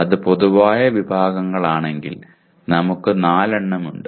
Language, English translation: Malayalam, If it is general categories, we are having 4